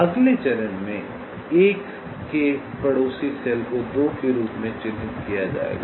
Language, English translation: Hindi, in the next step, the neighboring cells of one will be marked as two